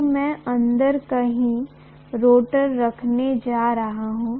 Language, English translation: Hindi, So I am going to have a rotor somewhere inside